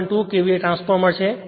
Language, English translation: Gujarati, 2 KVA transformer